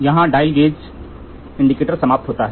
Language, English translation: Hindi, These are all for dial gauge type indicator